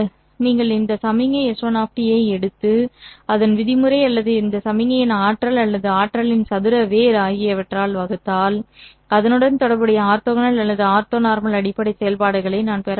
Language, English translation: Tamil, If you take this signal S1 of T and divide this one by its norm or the energy of this signal or square root of the energy, I will be able to obtain the corresponding orthogonal or ortho normal basis functions